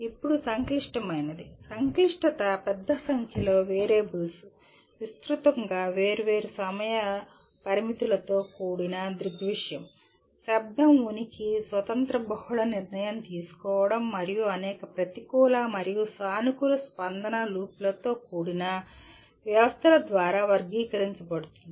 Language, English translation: Telugu, Now coming to what is a complex, complexity is characterized by large number of variables, phenomena with widely different time constraints, presence of noise, independent multiple decision making, and or systems with a number of negative and positive feedback loops